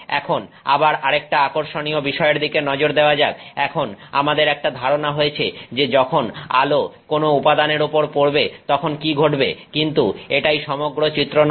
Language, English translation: Bengali, Again, we have now sort of got a idea of what is happening when light interacts with matter, but this is not the whole picture